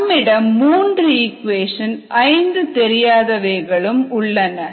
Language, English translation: Tamil, we have three equations, five unknowns